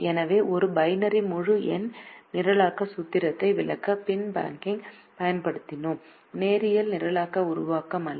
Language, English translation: Tamil, so we have used the bin packing to explain a binary integer programming formulation and not a linear programming formulation